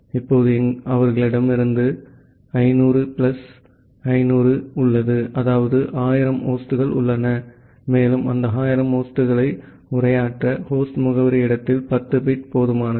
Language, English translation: Tamil, So, together, now they have they have 500 plus 500 that means, 1000 number of host, and to address those 1000 number of host, 10 bit at the host address space is sufficient